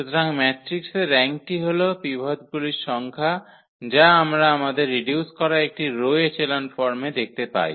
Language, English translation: Bengali, So, rank of the matrix is the number of the pivots which we see in our reduced a row echelon forms